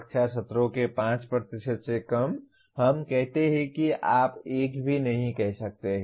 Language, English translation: Hindi, Anything less than 5% of classroom sessions, we say you cannot even say it is 1